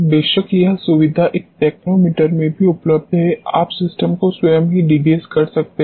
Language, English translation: Hindi, Of course, this facility is available in a techno meter itself you can degas the system there itself